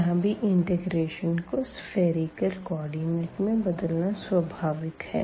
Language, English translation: Hindi, So now, again this is natural to consider a spherical coordinate which will convert this